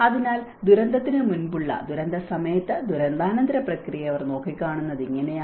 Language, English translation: Malayalam, So, this is how they looked at the process of before disaster, during disaster and the post disaster